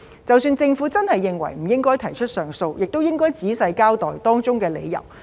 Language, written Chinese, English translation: Cantonese, 即使政府真的認為不應該提出上訴，亦應該仔細交代當中的理由。, Even if the Government really considers that appeals should not be lodged it should still explain in detail the reasons for not doing so